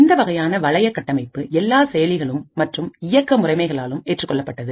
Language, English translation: Tamil, The heart of the problem is the ring architecture that is adopted by all processors and operating systems